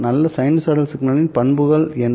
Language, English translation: Tamil, What are the characteristics of a good sinusoidal signal